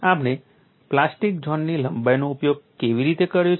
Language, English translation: Gujarati, How we have utilized the plastic zone length